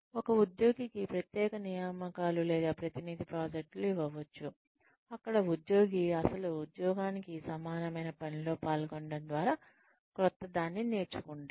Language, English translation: Telugu, Special assignments or representative projects, can be given to an employee, where the employee learns something new, by engaging in something similar, not the actual job